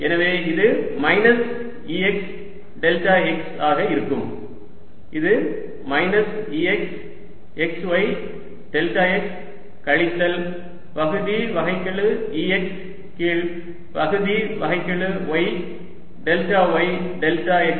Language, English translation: Tamil, so this is going to be minus e x, delta x, which comes out to be minus e, x, x, y, delta x, minus partial e x by partial y, delta, y, delta x